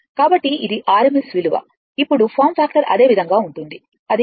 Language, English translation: Telugu, So, this is your rms value now form factor will be same way you can get it it will be 1